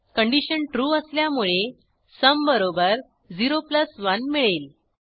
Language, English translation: Marathi, Since the condition is true, we calculate sum as 0 + 1